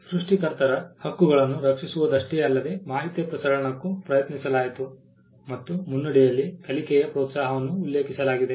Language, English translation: Kannada, Not only was concerned with protecting the rights of the creators, but it was also tried to the dissemination of information, the preamble mentioned the encouragement of learning